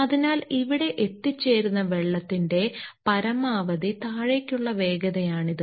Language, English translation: Malayalam, So, that is the maximum downward velocity of water you will reach here